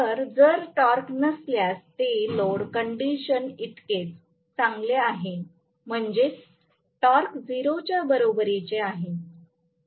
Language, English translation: Marathi, So, if there is no torque it is as good as no load condition that means that is torque equal to 0